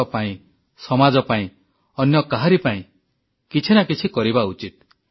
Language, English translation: Odia, One should do something for the sake of the country, society or just for someone else